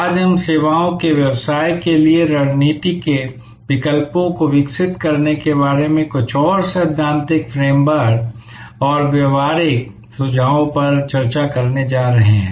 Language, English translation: Hindi, Today, we are going to discuss a few more theoretical frame work and practical suggestions about doing, developing the strategy alternatives for a services business